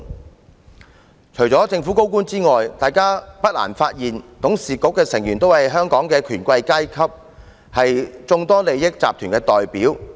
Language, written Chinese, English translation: Cantonese, 大家不難發現，除了政府高官之外，港鐵公司董事局的成員均是香港的權貴階級，是眾多利益集團的代表。, It is not difficult to see that apart from high - ranking government officials MTRCLs Board of Directors is comprised of bigwigs in Hong Kong representing various parties with vested interests